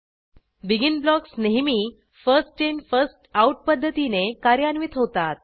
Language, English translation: Marathi, BEGIN blocks always get executed in the First In First Out manner